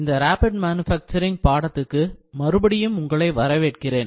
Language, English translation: Tamil, Good morning, welcome back to the course Rapid Manufacturing